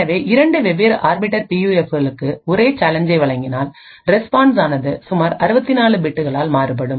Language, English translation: Tamil, So this means that if I provide the same challenge to 2 different Arbiter PUFs, the response would vary by roughly 64 bits